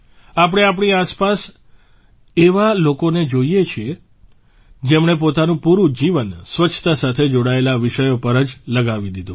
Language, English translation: Gujarati, We also see people around us who have devoted their entire lives to issues related to cleanliness